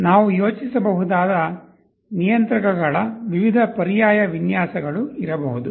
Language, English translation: Kannada, There can be various alternate designs of controllers we can think of